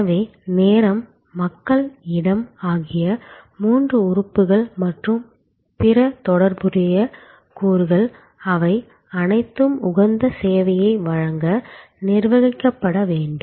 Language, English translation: Tamil, So, time, people, space all three elements and other related elements, they all need to be managed to provide the optimum level of service